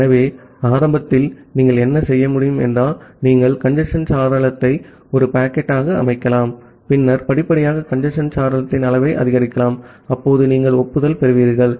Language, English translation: Tamil, So, initially what you can do that you can set the congestion window to one packet, and then gradually increase the size of the congestion window, when you will receive an acknowledgement